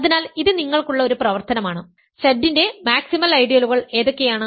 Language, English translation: Malayalam, So, this is an exercise for you, what are maximal ideals of Z